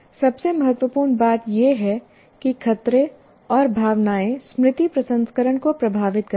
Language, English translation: Hindi, And most importantly, threats and emotions affect memory processing